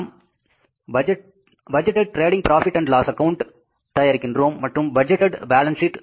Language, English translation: Tamil, We prepare the budgeted profit and loss account and the budgeted balance sheet